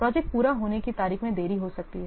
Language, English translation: Hindi, The completion date of the project will not be affected